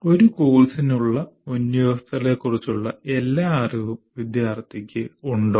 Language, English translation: Malayalam, Does he have all the knowledge of the prerequisites to a course